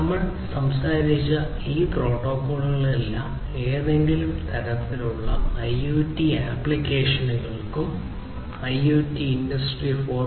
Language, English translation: Malayalam, All these protocols that we have talked about are very much attractive for use with any kind of IoT applications and IoT and industry 4